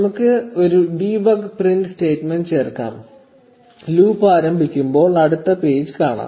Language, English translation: Malayalam, Let’s just add a debug print statement, when the loop begins, found next page